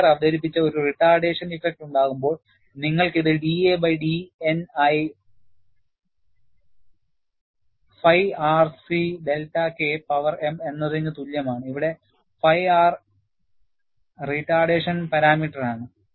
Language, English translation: Malayalam, And, when you have a retardation effect, introduced by Wheeler, you have this as d a by d N equal to phi R C delta K power m, where phi R is the retardation parameter